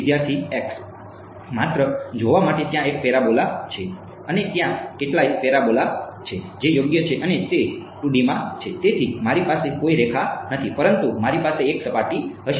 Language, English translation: Gujarati, Just to see is there one parabola and there are several parabolas what is there right and its in 2 D so, I will not have a line, but I will have a surface